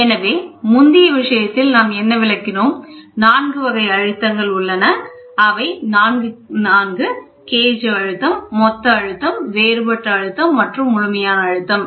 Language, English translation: Tamil, So, whatever we have explained in the previous thing, 4 pressures, gauge pressure, total pressure, gauge pressure is above atmospheric pressure, the total pressure is atmospheric plus gauge pressure